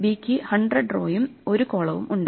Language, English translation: Malayalam, And C has again 1 row and 100 columns